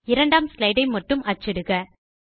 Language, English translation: Tamil, Print only the 2nd slide